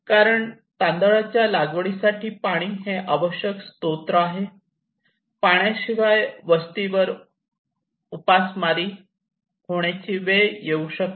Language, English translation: Marathi, Because it is a resource essential to the cultivation of rice, without an entire settlement could be starved